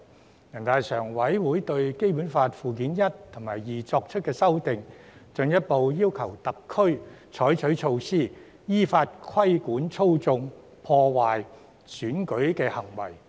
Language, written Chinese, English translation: Cantonese, 全國人大常務委員會亦對《基本法》附件一和附件二作出修訂，進一步要求特區採取措施，依法規管操縱、破壞選舉的行為。, The Standing Committee of NPC has also amended Annex I and Annex II to the Basic Law to further request HKSAR to take measures in accordance with the law to regulate acts that manipulate or undermine elections